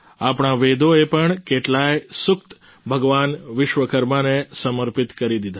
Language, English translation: Gujarati, Our Vedas have also dedicated many sookta to Bhagwan Vishwakarma